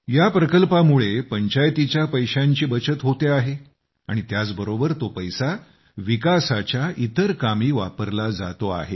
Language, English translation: Marathi, The money saved by the Panchayat through this scheme is being used for other developmental works